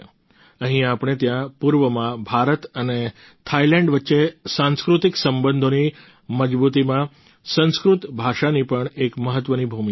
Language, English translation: Gujarati, Sanskrit language also plays an important role in the strengthening of cultural relations between India and Ireland and between India and Thailand here in the east